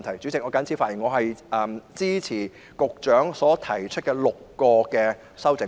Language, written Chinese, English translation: Cantonese, 主席，我謹此陳辭，支持局長提出的6項修正案。, With these remarks Chairman I support the six amendments proposed by the Secretary